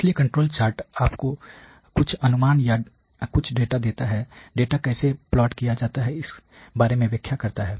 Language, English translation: Hindi, So, the control chart gives you some estimation or some data regarding, you know the interpretation regarding how the data etcetera is plotted